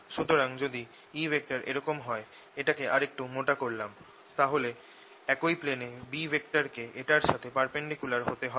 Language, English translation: Bengali, so if e vector is like this let me make a little thick then b vector has to be perpendicular to this in the same plane